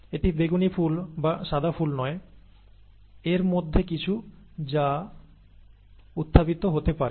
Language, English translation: Bengali, It is not either purple flowers or white flowers, okay